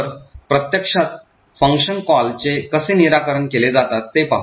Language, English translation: Marathi, So, let us see how function calls are resolved in practice